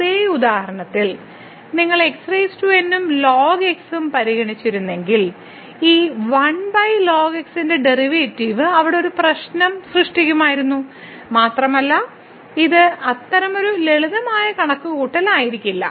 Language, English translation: Malayalam, But, in the same example if you would have consider power and over then the derivative of this over would have created a problem there and it was certainly it would have not been such a simple calculation